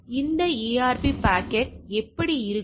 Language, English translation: Tamil, Now, how this ARP packet will be there